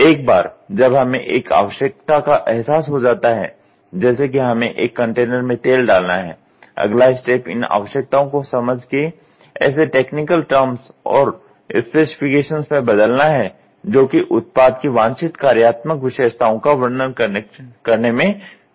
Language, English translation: Hindi, Once a need is realised, that we need to pour oil into a container, the next step is to interpret these needs into a technical terms and specifications capable of describing the desired functional characteristics of the product under study